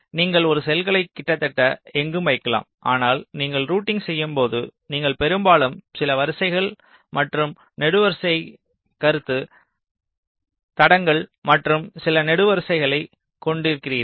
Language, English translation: Tamil, you can place a cell virtually anywhere, but when you do routing you often have some rows and column concept tracks and some columns